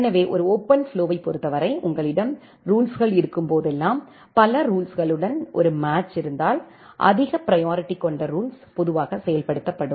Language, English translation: Tamil, So, in case of a OpenFlow, whenever you have a set of rules, if there is a match with multiple rules then the high priority rule is executed in general